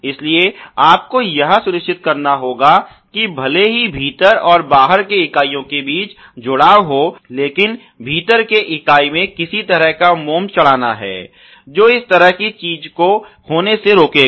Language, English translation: Hindi, So, you have to ensure that even though there is a hamming between the inner and outer members, there is going to be some kind of a waxing in the inner member which would prevent such a thing from happening